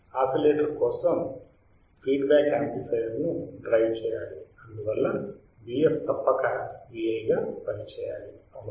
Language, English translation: Telugu, For the oscillator we want that the feedback should drive the amplifier hence V f must act as V i correct